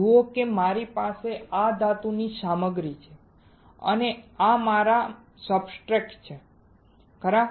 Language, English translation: Gujarati, See if I have this metal material and these are my substrates right